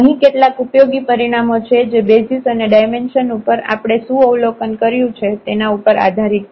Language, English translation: Gujarati, There are some useful results based on the observations what we have regarding these basis and dimension